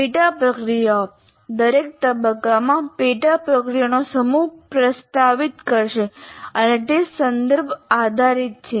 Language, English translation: Gujarati, The sub processes, now what happens is we will be proposing a set of sub processes in each phase and they are context dependent